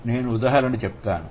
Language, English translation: Telugu, That's one example